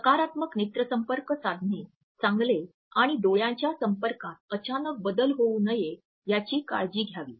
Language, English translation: Marathi, While it is good and advisable to make a positive eye contact one should also be careful not to introduce a sudden change in once eye contact